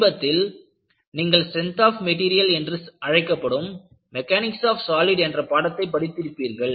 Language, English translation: Tamil, And, what you will have to find out is, you have done a course in strength of materials, which is called as Mechanics of Solids in recent days